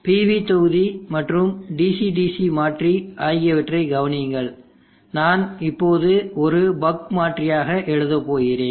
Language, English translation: Tamil, Consider the pre module and the DC DC convertor, I am going write right now about convertor